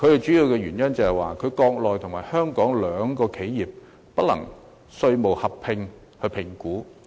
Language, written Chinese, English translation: Cantonese, 主要的問題是，在國內與香港開設的企業不能合併評稅。, A major problem is that enterprises set up on the Mainland and in Hong Kong cannot opt for joint assessment